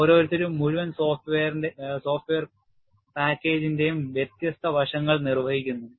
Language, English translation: Malayalam, And, each one performs different aspects of the whole software package